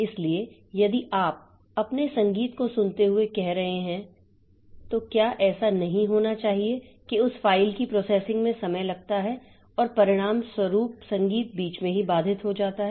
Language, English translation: Hindi, So, if you are, say, listening to your music, then it should not be the case that processing of that file takes a time and as a result the music is interrupted in between